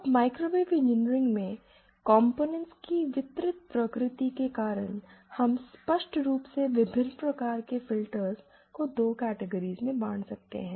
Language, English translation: Hindi, Now, in microwave engineering, because of the distributed nature of the components, it some weekend we can clearly classify the various filters that can be realised into 2 categories